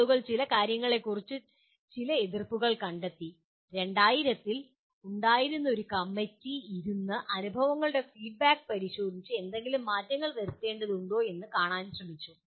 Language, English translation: Malayalam, And people did find some reservations about some of the things and there was a committee that in around 2000 year 2000 they sat down and looked at the experiences feedback that was given